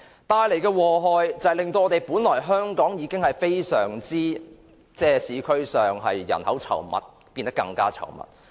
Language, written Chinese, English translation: Cantonese, 帶來的禍害是，香港本來人口已非常稠密的市區變得更擠迫。, The adverse effect is that the already densely populated urban areas in Hong Kong have become even more crowded